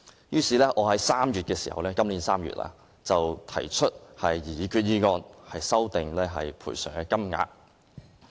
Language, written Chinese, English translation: Cantonese, 於是，我在今年3月提出擬議決議案，修訂有關賠償金額。, Hence I moved a proposed resolution this March to amend the sum of compensation